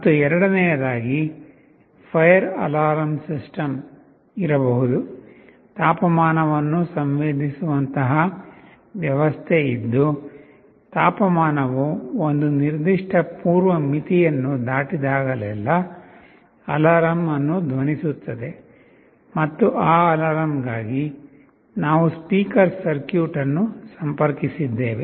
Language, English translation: Kannada, And secondly, there can be something like a fire alarm system, there will be a system which will be sensing the temperature and whenever the temperature crosses a certain preset threshold an alarm that will be sounded, and for that alarm we have interfaced a speaker circuit